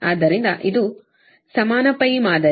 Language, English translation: Kannada, so this is your equivalent pi model